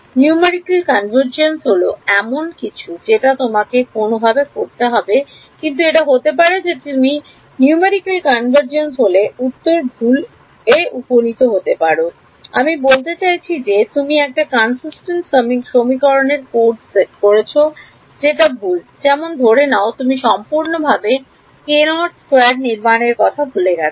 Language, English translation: Bengali, Numerical convergence is something that you have to do any way, but it may be that you have converged numerically to the wrong answer; I mean you have coded a consistent set of equations which are wrong like let us say you forgot the k naught squared term altogether